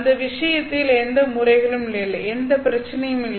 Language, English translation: Tamil, In that case, there are no modes, there is no problem